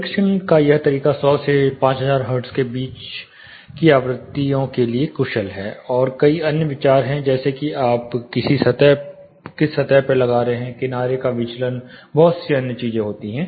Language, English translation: Hindi, This method of testing is more efficient for frequencies between 100 to5000 hertz, and there are lot of other considerations like mounting on what surface you are mounting, edge diffraction, lot of other things are coming